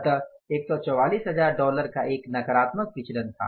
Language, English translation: Hindi, So, it means there is a negative variance of $1,44,000